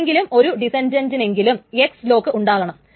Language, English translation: Malayalam, So, at least one descendant has an X lock